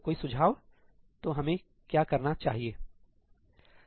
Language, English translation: Hindi, So any ideas what can we do then